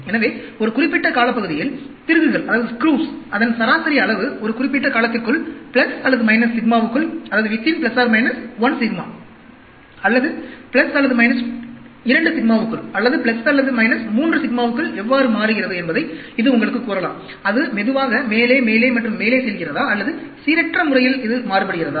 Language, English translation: Tamil, So, over a period of time, it can tell you how the average size of the screws change over a period of time, within plus or minus 1 sigma, or within plus or minus 2 sigma, or within plus or minus 3 sigma; is it slowly going up, up and up, or is there a randomly its varying; or sometimes, it goes out of 1 sigma, 2 sigma, 3 sigma or all the time it is within that regions